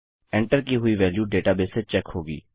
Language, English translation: Hindi, The entered values will be checked against a database